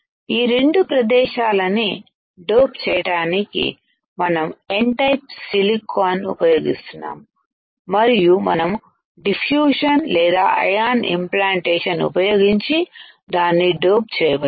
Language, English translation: Telugu, So, we are using N type silicon to dope these 2 area, and we can dope it by using diffusion or ion implantation